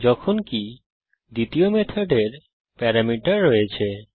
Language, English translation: Bengali, While the second method has parameters